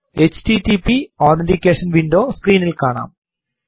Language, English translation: Malayalam, HTTP Authentication window appears on the screen